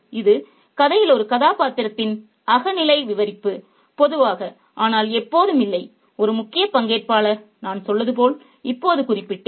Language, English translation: Tamil, It is a subjective narration by a character in the story, normally but not always a major participant as I just mentioned